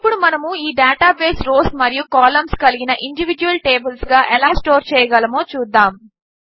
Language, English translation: Telugu, Now let us see, how we can store this data as individual tables of rows and columns